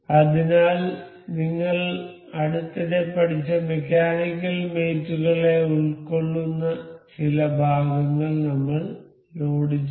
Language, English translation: Malayalam, So, I have loaded this certain parts that would feature the the mechanical mates that we have recently learnt